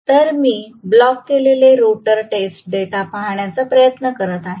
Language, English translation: Marathi, So, let me try to look at the blocked rotor test data